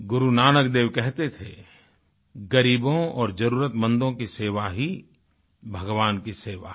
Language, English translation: Hindi, Guru Nanak Devji said that the service to the poor and the needy is service to God